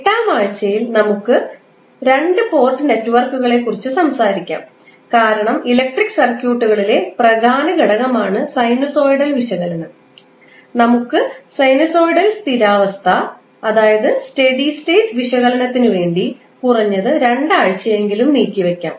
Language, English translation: Malayalam, Then, on week 8 we will talk about the 2 port network and since sinusoidal is also one of the important element in our electrical concept we will devote atleast 2 weeks on sinusoidal steady state analysis